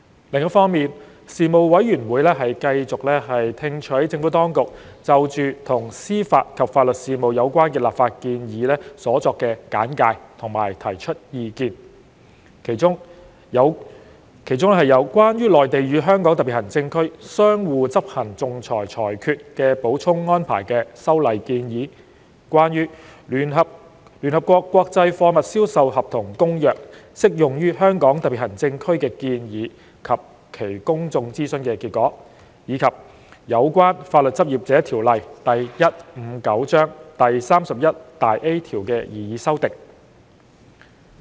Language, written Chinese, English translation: Cantonese, 另一方面，事務委員會繼續聽取政府當局就與司法及法律事務有關的立法建議所作簡介和提出意見，其中有《關於內地與香港特別行政區相互執行仲裁裁決的補充安排》的修例建議、關於《聯合國國際貨物銷售合同公約》適用於香港特別行政區的建議及其公眾諮詢結果，以及有關《法律執業者條例》第 31A 條的擬議修訂。, On the other hand the Panel continued to receive briefings by the Administration and provide views on legislative proposals in respect of the administration of justice and legal services including the legislative amendment proposal related to the Supplemental Arrangement Concerning Mutual Enforcement of Arbitral Awards between the Mainland and the Hong Kong Special Administrative Region the proposed application of the United Nations Convention on Contracts for the International Sale of Goods to the Hong Kong Special Administrative Region and the outcome of the relevant public consultation and the proposed amendment to section 31A of the Legal Practitioners Ordinance Cap . 159